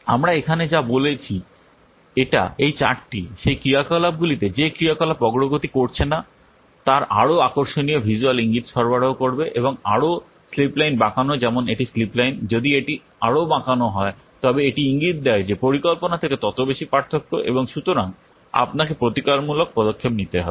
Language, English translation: Bengali, That's what we are saying here that this chart, it will provide a more striking visual indication of those activities that are not progressing to the schedule and more the slip line bent just like this is the slip line if it is more bent it indicates that the greater the variation from the plan and hence you have to take remedial action